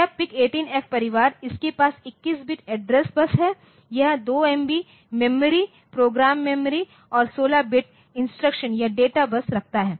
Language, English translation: Hindi, So, this PIC18F family so, it has got 21 bit address bus that is 2MB of memory program memory and 16 bit instruction or data bus